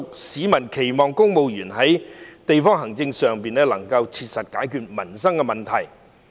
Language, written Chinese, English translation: Cantonese, 市民期望公務員能在地區行政上切實解決民生問題。, People hope that their livelihood issues can be practically solved by the civil service through district administration